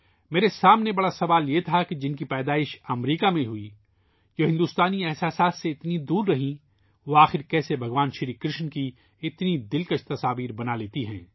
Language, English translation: Urdu, The question before me was that one who was born in America, who had been so far away from the Indian ethos; how could she make such attractive pictures of Bhagwan Shir Krishna